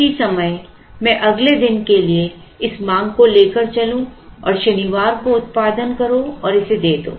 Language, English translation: Hindi, At the same time I will carry the unmet demand to the next day which is say Saturday produce it and give it